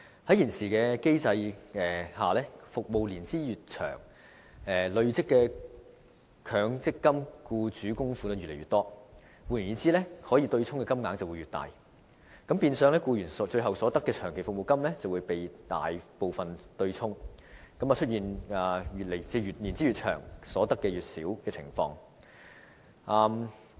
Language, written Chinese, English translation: Cantonese, 在現時機制下，服務年資越長，累積的僱主強積金供款便越多，換言之，可以對沖的金額便會越大，變相僱員應得的長期服務金便會大部分被對沖，出現服務年資越長，所得越少的情況。, Under the current mechanism the longer the period of service the larger the amount of accrued employers MPF contributions . In other words the amount of money which can be used for offsetting will be larger and therefore a large proportion of the long service payment to which employees are entitled will be offset . It will result in a situation where the longer the period of service the smaller the amount of money to be received